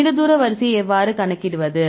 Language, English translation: Tamil, How to calculate the long range order